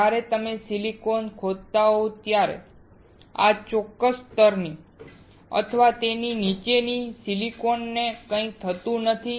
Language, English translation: Gujarati, When you etch silicon, nothing happens to this particular layer or the silicon below it